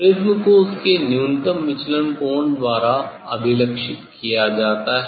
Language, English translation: Hindi, prism is characterised by their angle of minimum deviation